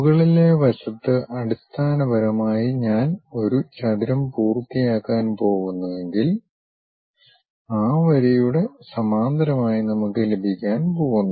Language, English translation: Malayalam, On the top side is basically, if I am going to complete a rectangle whatever that line we are going to have parallel to that